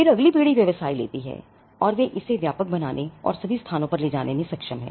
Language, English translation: Hindi, Then the next generation takes the business and they are able to broaden it and take it to all places